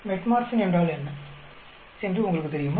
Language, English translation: Tamil, You all know what is Metformin